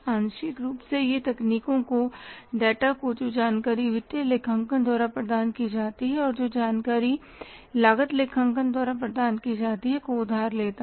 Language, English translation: Hindi, Partly they it borrows the techniques and partly it borrows the data, the information which is provided by the financial accounting and which is provided by the cost accounting